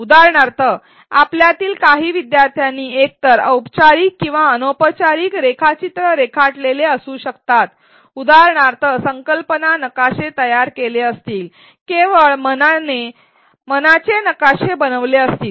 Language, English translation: Marathi, For example, some of you may have our students to draw diagrams either formal or informal for example, creating concept maps, so just making mind maps